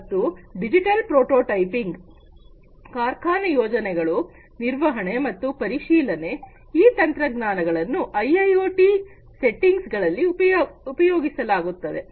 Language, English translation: Kannada, And digital prototyping, factory planning, maintenance and inspection, these are some of the different uses of these technologies in the IIoT settings